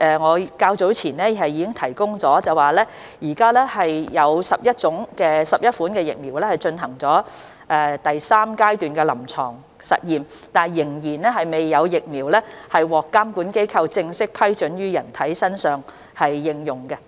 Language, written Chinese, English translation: Cantonese, 我較早前已經回答，現時有11款疫苗已進入第三階段臨床實驗，但仍未有疫苗獲監管機構正式批准於人體身上應用。, I have answered earlier that 11 vaccines had entered Phase 3 clinical trial but no vaccine has yet obtained approval from regulatory authorities for human application